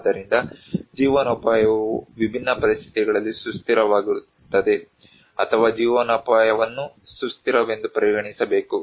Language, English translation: Kannada, So, a livelihood becomes sustainable in different conditions or a livelihood should be considered as sustainable